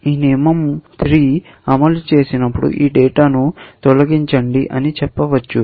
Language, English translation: Telugu, It is possible that when this rule 3 executes, it may say, delete this data